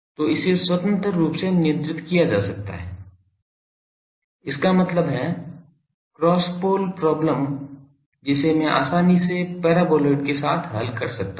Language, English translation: Hindi, So, that can be controlled independently the; that means, the cross pole problem that I can easily tackled by the playing with the paraboloid